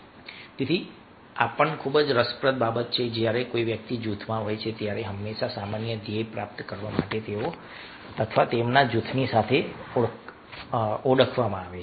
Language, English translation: Gujarati, so this is also very interesting, that when a person is any group, then always he or she is identified with the group to achieve the common goal